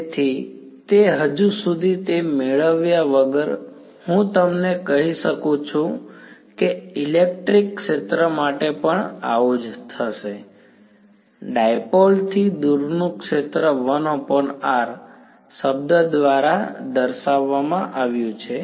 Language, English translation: Gujarati, So, the and the same without yet deriving it I can tell you that the same will happen for the electric field also, the field far away from the dipole will be dominated by a 1 by r term